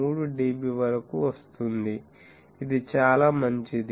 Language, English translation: Telugu, 3 dB which is quite good